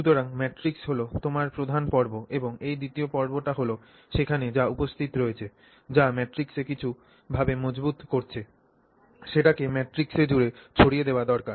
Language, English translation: Bengali, So, the matrix is your major phase and this, you know, second phase that is present there which is reinforcing the matrix in some form, needs to be dispersed across that matrix